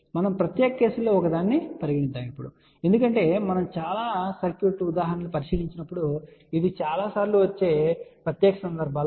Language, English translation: Telugu, We will take one of the special case as we will see later on when we take on more circuit examples that this will be a 1 of the special cases which will come several time